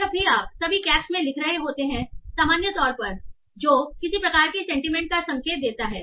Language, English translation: Hindi, So whenever you are writing in all caps in general, that might indicate some sort of sentiment